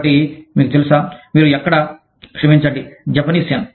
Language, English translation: Telugu, And so, you know, where do you, sorry, The Japanese Yen